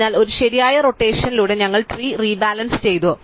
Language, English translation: Malayalam, So, by one right rotation, we have rebalanced the tree